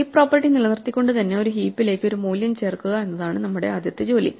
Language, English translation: Malayalam, Our first job is to insert a value into a heap while maintaining the heap property